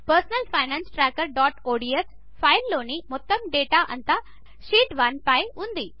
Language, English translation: Telugu, In our Personal Finance Tracker.ods file, our entire data is on Sheet 1